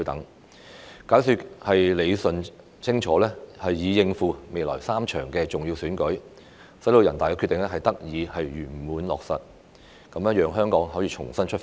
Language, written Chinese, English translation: Cantonese, 要解說理順清楚，以應付未來3場重要選舉，使人大的《決定》得以圓滿落實，讓香港可以重新出發。, It is necessary to give a clear explanation in order to cope with the three upcoming important elections such that NPCs Decision can be successfully implemented and Hong Kong can start afresh